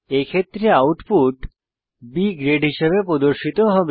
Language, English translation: Bengali, In this case, the output will be displayed as B Grade